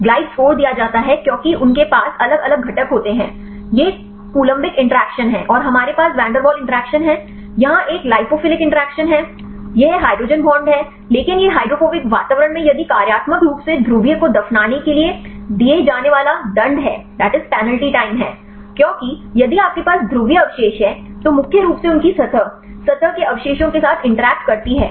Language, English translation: Hindi, Glide score is given as they have different components these are columbic interaction and we have van der Waals interactions; here this is a lipophilic interaction, this is hydrogen bonds, but this is the penalty time given for the burying the polar functionally in the hydrophobic environment, because, if you have the polar residues then mainly their surface interact with the residues of the surface